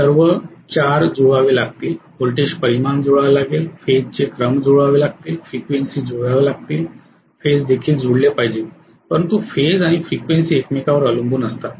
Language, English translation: Marathi, All 4 have to match, the voltage magnitudes have to match, the phase sequences have to match, the frequencies have to match, the phases also should match but phase and frequency are highly dependent on each other